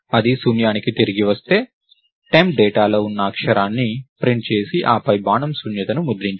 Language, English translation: Telugu, If that returns null, then print the character which is contained in temp data and then, followed by arrow null